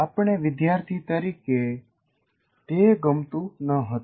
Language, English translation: Gujarati, And so mostly we did not like it as students